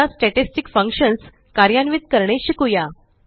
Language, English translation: Marathi, Now, lets learn how to implement Statistic Functions